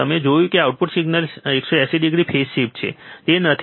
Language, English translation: Gujarati, You see that the output is 180 degree phase shift to the input signal, isn't it